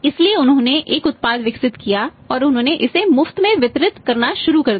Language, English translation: Hindi, So, he developed a product and he started distributing is free of cost